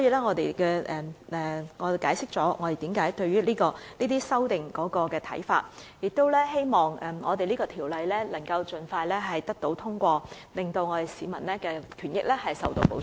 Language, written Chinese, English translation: Cantonese, 我們解釋了我們對這些修正案的看法，並希望這項《條例草案》可盡快獲得通過，令市民的權益受到保障。, This is an account of our views on the amendments and we hope that the Bill will be passed as soon as possible to protect the rights of the public